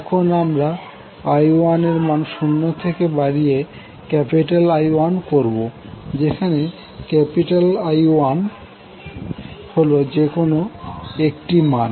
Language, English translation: Bengali, Now I 1 is now allowed to increase from 0 to capital I 1 that is one arbitrary value we are considering